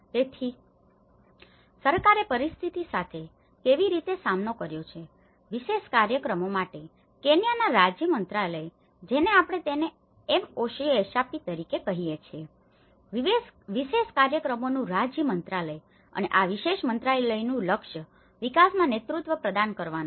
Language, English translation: Gujarati, So, how the government have tackled with the situation, the Government of Kenyaís ministry of state for special programs, which we call it as MoSSP, the Ministry of State for Special Programs and this particular ministryís mission is to provide the leadership in the development of risk reduction measures and disaster management, within Kenya